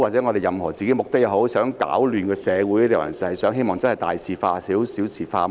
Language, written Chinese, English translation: Cantonese, 究竟我們是想攪亂社會，還是希望大事化小、小事化無？, Do we want to disrupt our society; or do we hope to reduce big problems to small ones and small problems to no problem at all?